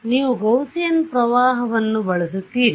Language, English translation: Kannada, So, you use a Gaussian current